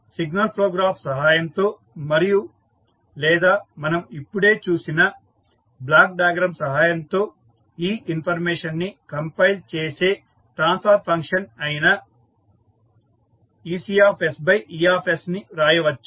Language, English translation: Telugu, So, with the help of signal flow graph and or may be the block diagram which we just saw, we can compile this information, we can write ec by e that is the transfer function for output ec